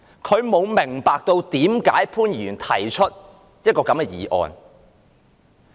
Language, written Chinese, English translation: Cantonese, 他不明白為甚麼潘議員提出這項議案。, He does not understand why Mr POON has to move this motion